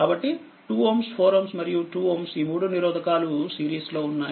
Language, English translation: Telugu, So, 2 ohm 4 ohm and 2 ohm this 3 resistors are in series